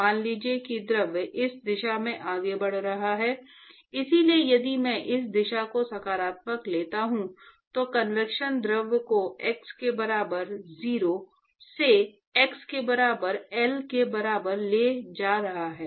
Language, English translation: Hindi, So this is the, supposing if the fluid is moving in this direction so if I take this direction is positive, Convection is taking the fluid from x equal to 0 to x equal to L right